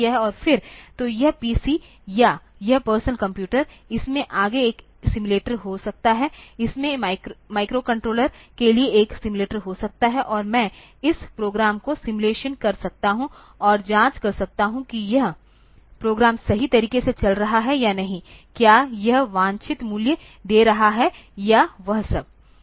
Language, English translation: Hindi, And then, so this PC or this personal computer, it can have a simulator further, it can have a simulator for the microcontroller, and I can simulate this program and check whether this program is running correctly or not, whether it is giving with the desired values and all that